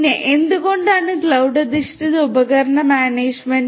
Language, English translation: Malayalam, So, why cloud based; why cloud based; why cloud based device management